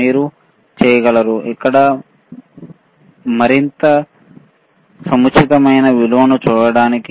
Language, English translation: Telugu, You will be able to see the value which is more appropriate here